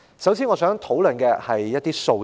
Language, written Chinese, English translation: Cantonese, 首先，我想討論的是一些數字。, First I would like to discuss some figures